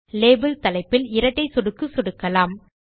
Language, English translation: Tamil, Double click on the label title